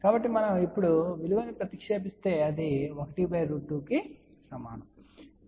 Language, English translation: Telugu, So, if we substitute the value now, this is equal to 1 by square root 2